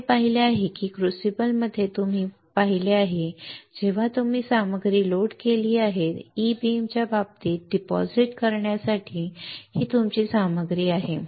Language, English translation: Marathi, We have seen that in a crucible you have seen that you have loaded the material this is your material to get deposited right in case of E beam